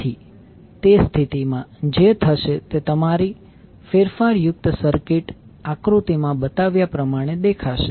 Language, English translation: Gujarati, So in that case what will happen your modified circuit will look like as shown in the figure